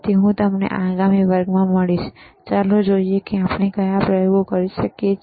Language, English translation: Gujarati, So, I will see you in the next class, and let us see what experiments we can perform,